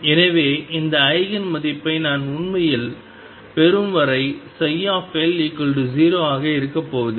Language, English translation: Tamil, So, psi L is not going to be 0 until I really have that Eigen value